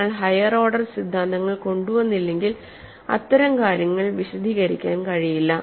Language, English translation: Malayalam, Unless we bring in higher order theories, such things cannot be explained